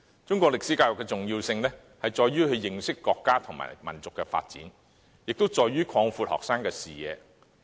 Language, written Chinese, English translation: Cantonese, 中史教育的重點是認識國家和民族的發展，以及擴闊學生的視野。, The salient point of Chinese history education is to help students learn about the development of their country and nation and to widen their horizon